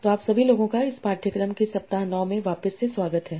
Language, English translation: Hindi, So, everyone, welcome back to week 9 of this course